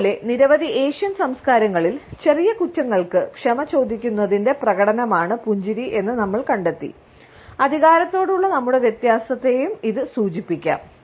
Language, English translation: Malayalam, Similarly, in several Asian cultures, we find that a smile may be an expression of an apology for minor offenses; it may also indicate our difference to authority